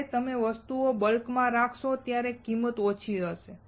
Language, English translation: Gujarati, When you keep on making the things in bulk the cost will go down